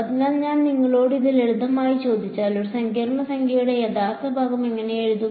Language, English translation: Malayalam, So, if I asked you to simply this what how would you write down real part of a complex number